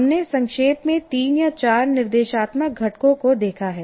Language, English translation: Hindi, This is, we have seen briefly three or four instructional components